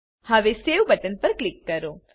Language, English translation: Gujarati, Now click on Save button